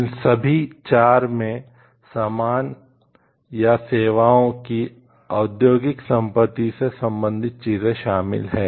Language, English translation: Hindi, All these 4 consist of the things related to like industrial property of the goods or services